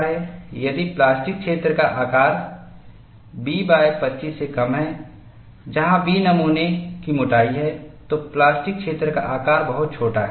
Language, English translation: Hindi, If the size of the plastic zone is less than B by 25, where B is the thickness of the specimen, the plastic zone size is very small